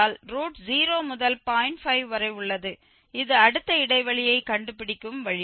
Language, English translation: Tamil, 5 this is the way we will find the next interval